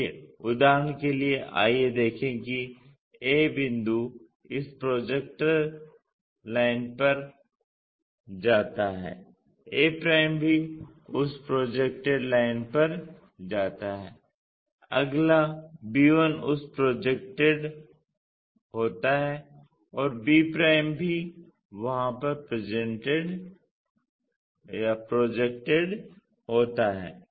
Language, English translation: Hindi, So, for example, let us look at a point goes on to this projector line a' also goes on to that projected line, next b one projected to that and b' also projected to there